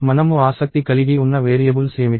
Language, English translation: Telugu, So, what are the variables of interest